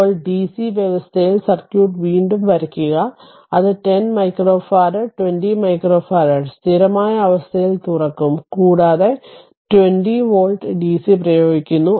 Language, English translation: Malayalam, Now, we will we will redraw the circuit right under dc condition that that 10 micro farad 20 micro farad it will be open at steady state right; and 20 volt dc is applied